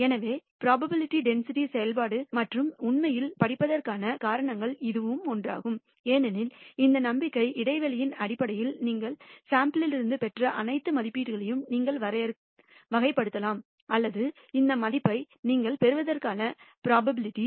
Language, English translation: Tamil, So, that is one of the reasons that we actually studied probability density functions because then you can characterize all the estimates that you have obtained from the sample in terms of this confidence interval and so on or the probability that you will obtain this value